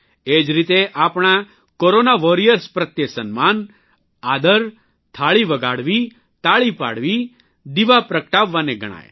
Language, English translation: Gujarati, Similarly, expressing honour, respect for our Corona Warriors, ringing Thaalis, applauding, lighting a lamp